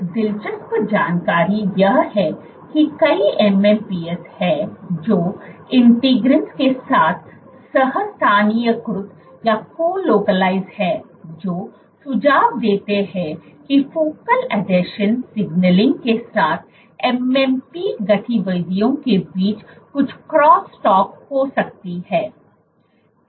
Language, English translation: Hindi, So, one interesting bit of information is that there are many MMPs which is co localize with integrins suggesting there might be some cross talk between MMP activities with focal adhesion signaling